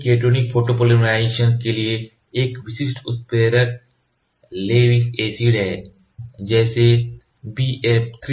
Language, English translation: Hindi, A typical catalyst for a cationic photopolymerization is Lewis Acid such as BF 3